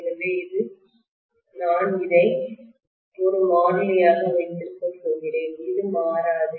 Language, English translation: Tamil, So I am essentially going to have this as a constant this will not change